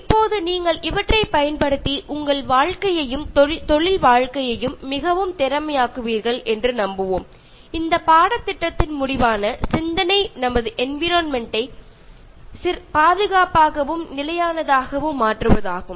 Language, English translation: Tamil, Now, hoping that you will use these ones and make your life and career more efficient, the concluding thought of this course is to make our environment safe and sustainable